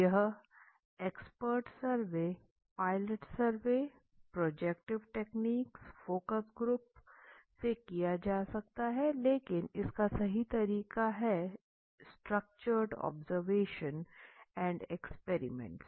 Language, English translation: Hindi, The methods are expert surveys pilot surveys projective techniques focus group methods right is a structure observations and experiments okay